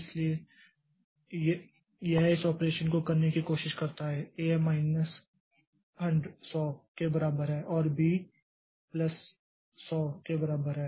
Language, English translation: Hindi, So, what tries to do this account this operation is A equal to A minus 100 and B equal to B plus 100